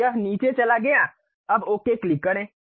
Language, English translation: Hindi, So, it went down; now, click Ok